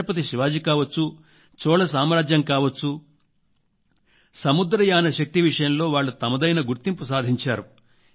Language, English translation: Telugu, Be it Chatrapati Shivaji, Chola Dynasty which made a new identity with Naval power